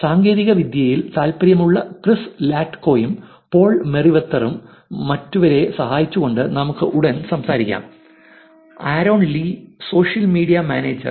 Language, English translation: Malayalam, Chris Latko, interested in Tech, will follow back and Paul Merriwether, helping others, let us talk soon; Aaron lee, social media manager